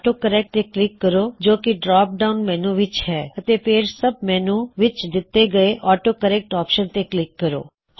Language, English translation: Punjabi, Then click on AutoCorrect in the drop down menu and finally click on AutoCorrect Optionsin the sub menu